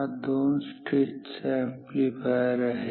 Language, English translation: Marathi, So, this is what a two stage amplifier is